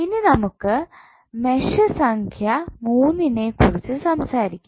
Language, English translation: Malayalam, Now, let us talk about the mesh number three what you will get